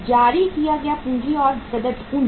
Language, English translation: Hindi, Issued and paid up capital